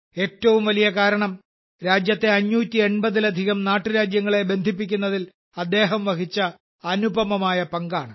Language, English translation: Malayalam, The biggest reason is his incomparable role in integrating more than 580 princely states of the country